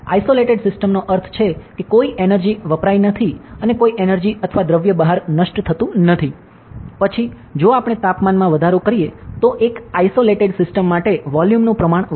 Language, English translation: Gujarati, Isolated system means, in no energy is lost and no energy or matter is lost outside; then if we increase the temperature volume will increase for isolated system, ok